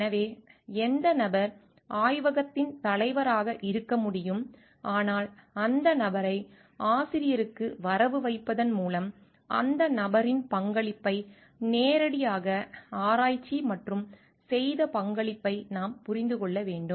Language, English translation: Tamil, So, what person could be the head of the laboratory, but by crediting the person for authorship we need to understand the contribution made by that person directly into the research and amount of contribution made